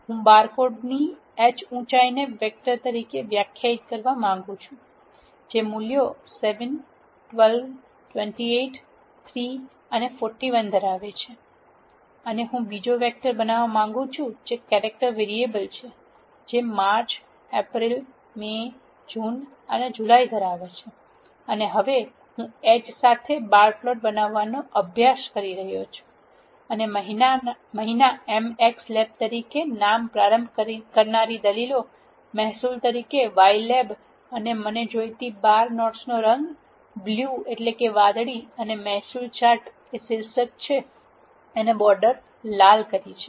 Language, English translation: Gujarati, I want to define h heights of the barcodes as a vector, which is having the values 7, 12, 28, 3 and 41, and I want to create another vector which is of character variable, which is having the values March, April, May, June and July, and now, I am trying to create a bar plot with h as heights and name start arguments as m x lab as month, y lab as revenue and the colour of the bar notes I want, is blue and the title is revenue chart and the border is red